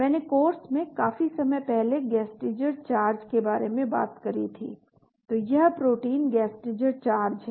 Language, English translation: Hindi, , I talked about Gasteiger charges long back in the course so this is the protein Gasteiger charges